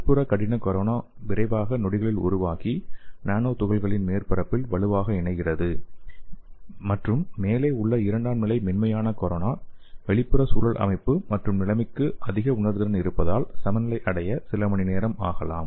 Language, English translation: Tamil, And the inner hard corona rapidly forms in seconds and strongly attach to the nanoparticle surface and the secondary soft corona is found atop, so which can take hours to equilibrate due to its high sensitivity to the external environment composition and conditions